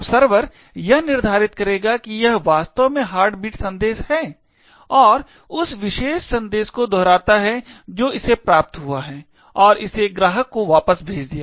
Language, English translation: Hindi, Now, the server would determine that it is indeed the heartbeat message and replicate that particular message that it received and send it back the client